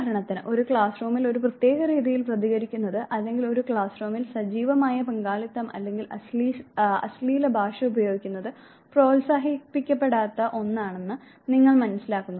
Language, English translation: Malayalam, Say for instance you realize that responding in a particular way in a classroom or active participation in a classroom or usage of slangs is something that is not appreciated